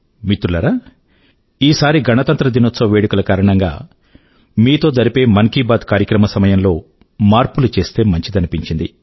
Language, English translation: Telugu, Friends, this time, it came across as appropriate to change the broadcast time of Mann Ki Baat, on account of the Republic Day Celebrations